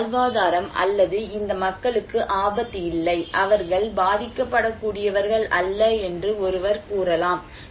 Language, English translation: Tamil, Then, one can say that this livelihood or these people are not at risk, they are not vulnerable